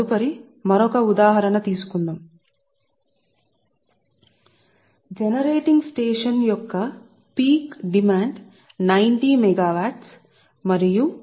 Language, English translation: Telugu, next will take another example: right, a peak demand of a generating station is ninety megawatt and load factor is point six